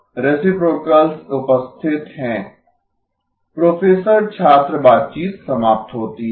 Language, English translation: Hindi, “Professor student conversation ends